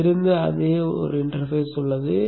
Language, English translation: Tamil, This contains exactly the same content as that was